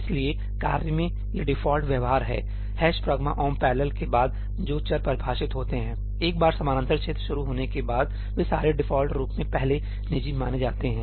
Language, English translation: Hindi, So, this is the default behaviour in tasks variables which are declared after ëhash pragma omp parallelí, once the parallel religion starts, all of them are treated by default as first private